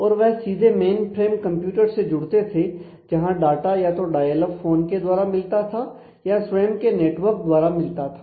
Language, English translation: Hindi, And the those to directly connect to the main frame computer where the data existed through either a direct connection dial up phone or proprietary network